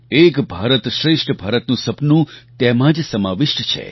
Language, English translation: Gujarati, The dream of "Ek Bharat Shreshtha Bharat" is inherent in this